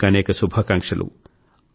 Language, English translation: Telugu, Many good wishes